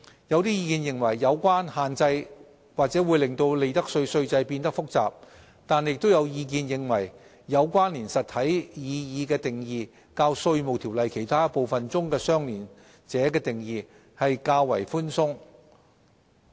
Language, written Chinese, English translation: Cantonese, 有意見認為有關限制或會令利得稅稅制變得複雜，但也有意見認為"有關連實體"的擬議定義較《稅務條例》其他部分中"相聯者"的定義為寬鬆。, There are views that the restrictions may complicate the profits tax system but there are also views that the proposed definition of connected entity is less stringent than the definition of associate in other parts of the Inland Revenue Ordinance